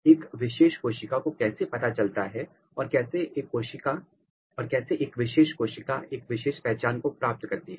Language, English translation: Hindi, how a particular cell realize or how a particular cell acquire a particular identity